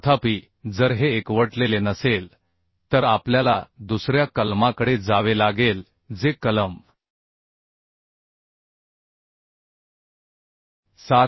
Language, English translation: Marathi, 2 However if this is not concentric then we have to go for another clause which is given as a clause 7